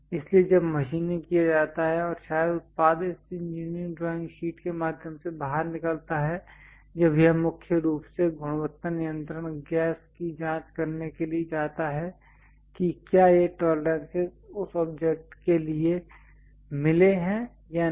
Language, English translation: Hindi, So, when machining is done and perhaps product comes out through this engineering drawing sheet, when it goes to quality check mainly quality control gas check whether this tolerances are met or not for that object